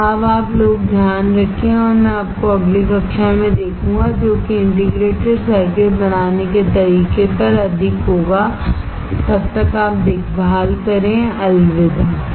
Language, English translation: Hindi, So, for now you guys take care and I will see you in the next class, which will be more on how to fabricate the integrated circuit, till then you take care, bye